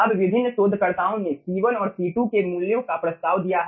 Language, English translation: Hindi, right now, various researchers, they have proposed the values of c1 and c2